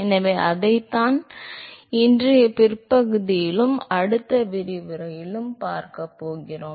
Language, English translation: Tamil, So, that is what we are going to see in to in rest of todays and the next lecture